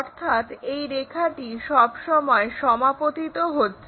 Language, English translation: Bengali, And one of these line coincides there